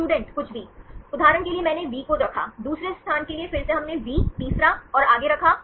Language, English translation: Hindi, Anything Anything, for example I put V, for the second position again we put V, third and forth